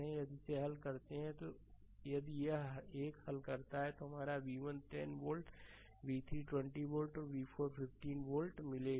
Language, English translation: Hindi, So, if you solve this one if you solve this one then you will get your ah v 1 is equal to 10 volt v 3 is equal to 20 volt and v 4 is equal to 15 volt